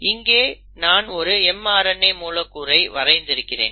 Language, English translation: Tamil, So what I have done here is I have drawn a mRNA molecule